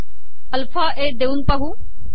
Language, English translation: Marathi, Let us try alpha a